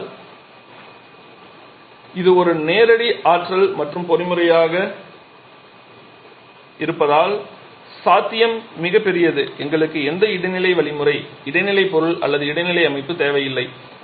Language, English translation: Tamil, But the potential is enormous because this is a direct energy conversion mechanism we don't need any intermediate mechanism intermediate material intermediate system